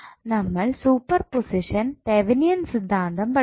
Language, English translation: Malayalam, We studied superposition as well as Thevenin's theorem